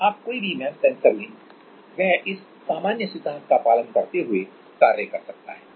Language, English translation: Hindi, You take any MEMS sensor it can work following this general principle